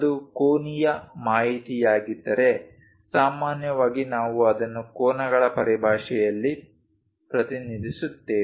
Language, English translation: Kannada, If it is angular information we usually represent it in terms of angles